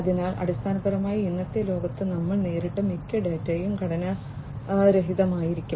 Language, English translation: Malayalam, So, basically most of the data that we encountered in the present day world, would be unstructured